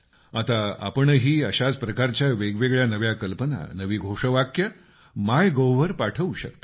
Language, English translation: Marathi, Now you can also send such innovative slogans or catch phrases on MyGov